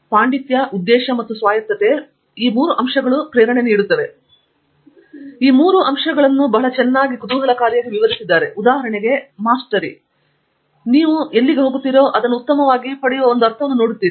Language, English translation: Kannada, So, very interestingly all these three very nicely relate to research you know, Mastery for example, is where you see a sense of getting better and better as you go along